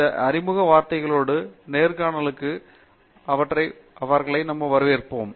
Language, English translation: Tamil, So, with these words of introductions, I welcome you to this interview